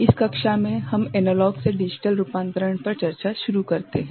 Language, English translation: Hindi, In this class, we start discussing Analog to Digital Conversion